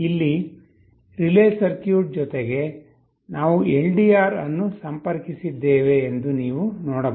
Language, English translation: Kannada, Here in addition to the relay circuit, now you can see we also have a LDR connected out here